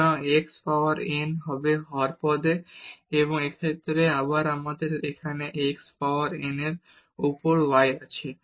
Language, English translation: Bengali, So, this x power n will be in the denominator term and in this case again we have here y over x power n